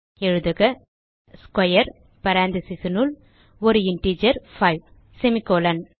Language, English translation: Tamil, So type square within parentheses an integer 5, semicolon